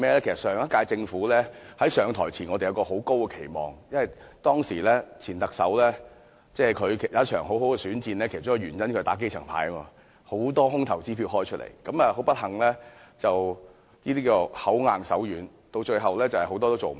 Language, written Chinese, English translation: Cantonese, 其實，在上屆政府上台時，我們都抱有很高期望，因為前特首進行了一場很好的選戰，其中一個原因是他打"基層牌"，開了很多"空頭支票"，但很不幸，這種"口硬手軟"的做法，結果是很多事情最後也做不到。, In fact when the last - term Government took office we had very high expectations of it . It is because the former Chief Executive had fought a nice battle in his electioneering campaign and one of the reasons was that he had played the grass roots card and issued many dishonoured cheques . But unfortunately as a result of this approach of all words but no actions many of these pledges made then were eventually not honoured